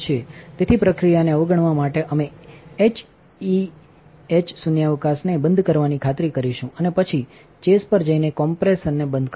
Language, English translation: Gujarati, So, to abort the process, we will make sure to turn the high vacuum off and then go to the chase and turn the compressor off